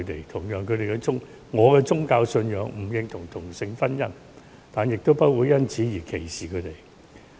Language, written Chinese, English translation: Cantonese, 同樣，我的宗教信仰不認同同性婚姻，但亦不會因而歧視同性戀者。, At the same time my religious belief does not agree with same - sex marriage but I will not discriminate against homosexual people